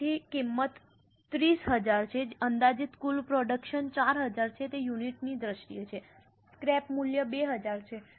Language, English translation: Gujarati, So, cost is 30,000, estimated total production is 4,000, it is in terms of units, the scrap value is 2,000